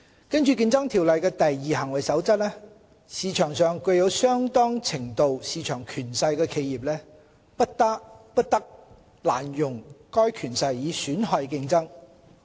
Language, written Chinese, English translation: Cantonese, 根據《競爭條例》的"第二行為守則"，市場上具有相當程度市場權勢的企業，不得濫用該權勢以損害競爭。, According to the Second Conduct Rule of the Competition Ordinance businesses with a substantial degree of market power are prohibited from abusing that power to harm competition